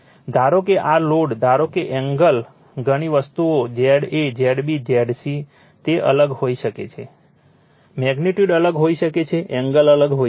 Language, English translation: Gujarati, Suppose, this load suppose is the angles are many thing Z a, Z b, Z c, it may be different right, magnitude may be different, angle may be different